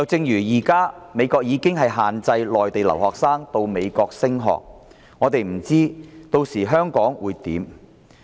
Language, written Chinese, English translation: Cantonese, 現時美國已限制內地留學生前往美國升學，我們不知道屆時香港的情況會如何。, Presently the United States has imposed restrictions on Mainland students seeking to further their studies there . We cannot tell what will happen to Hong Kong by then